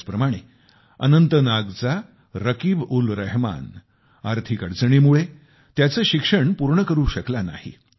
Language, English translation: Marathi, Similarly, RakibulRahman of Anantnag could not complete his studies due to financial constraints